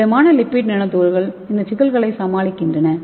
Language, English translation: Tamil, And this solid lipid nano particles will be in the size of between 50 to 100 nanometer